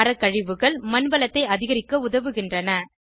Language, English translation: Tamil, Tree wastes are useful in increasing soil fertility